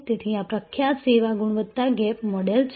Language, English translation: Gujarati, So, this is the famous service quality gap model